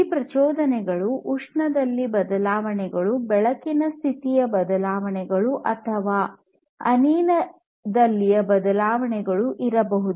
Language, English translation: Kannada, This stimulus could be changes in the temperature, changes in the lighting condition, changes in the gas